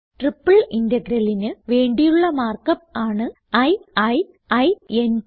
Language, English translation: Malayalam, And the mark up for a triple integral is i i i n t